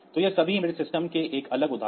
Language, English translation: Hindi, So, all these are a different examples of embedded systems